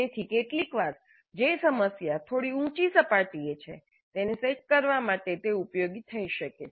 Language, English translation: Gujarati, So sometimes it may be useful to set a problem which is at a slightly higher level